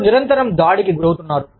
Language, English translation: Telugu, You are constantly, under attack